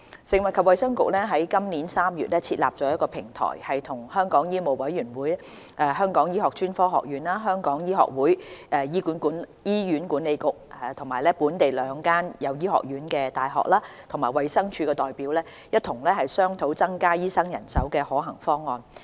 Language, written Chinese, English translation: Cantonese, 食物及衞生局於今年3月設立了平台，與香港醫務委員會、香港醫學專科學院、香港醫學會、醫院管理局、本地兩間設有醫學院的大學和衞生署的代表共同商討增加醫生人手的可行方案。, The Food and Health Bureau set up a platform in March this year engaging representatives from the Medical Council of Hong Kong MCHK the Hong Kong Academy of Medicine HKAM the Hong Kong Medical Association the Hospital Authority HA the two local universities with medical schools and the Department of Health to discuss about practicable options to increase the supply of doctors